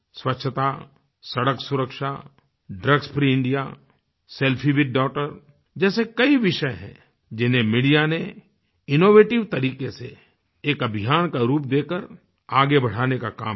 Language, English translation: Hindi, Issues such as cleanliness, Road safety, drugs free India, selfie with daughter have been taken up by the media and turn into campaigns